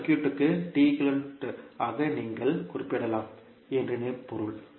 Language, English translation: Tamil, It means that you can represent this circuit as T equivalent